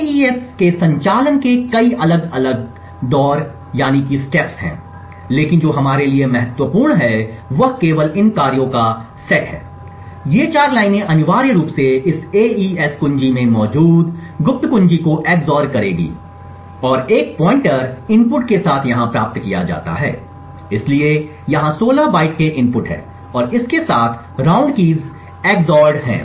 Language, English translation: Hindi, The AES has several different rounds of operations but what is important for us is only these set of operations, these 4 lines essentially would XOR the secret key present in this AES key and a pointer is obtained gained over here with the inputs, so the inputs are here the 16 bytes of input and the round keys are XORed with it